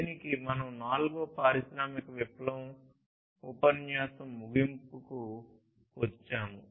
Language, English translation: Telugu, With this we come to an end of the fourth industrial revolution lecture